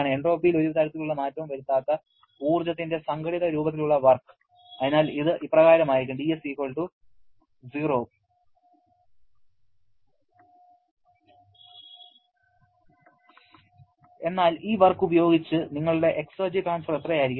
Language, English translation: Malayalam, Work being organized form of energy that does not cause any kind of change in entropy and therefore it will be=0 but how much will be your exergy transfer with this work